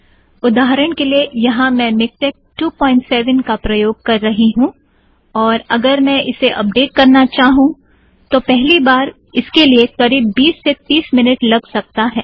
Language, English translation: Hindi, For example, here I am using MikTeX 2.7, and if I try to update it the very first time it could take about 20 minutes or even half an hour